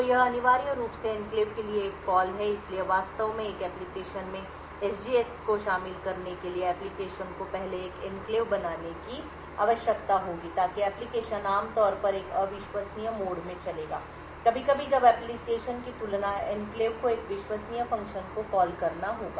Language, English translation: Hindi, So this essentially is a call to the enclave, so in order to actually incorporate SGX in an application the application would first need to create an enclave so the application would typically run in a untrusted mode and occasionally when there is enclave needs to be called rather than the application needs to call a trusted function